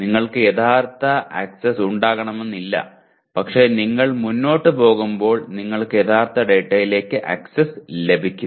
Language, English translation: Malayalam, But initially you may not have access to actual data but as you go along you will have access to the actual data